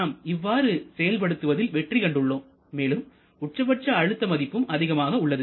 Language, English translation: Tamil, And we are quite successful in getting that the maximum pressure is also quite higher